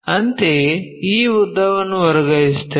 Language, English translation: Kannada, Similarly, transfer that length